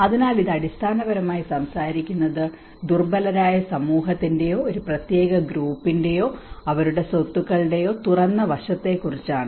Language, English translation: Malayalam, So this is talking basically on the exposed aspect of the vulnerable society or a particular group and their assets